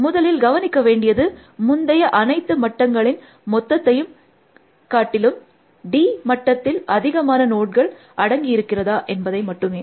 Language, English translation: Tamil, The first thing to observe, is that is d th layer contains more nodes then all the previous layers combined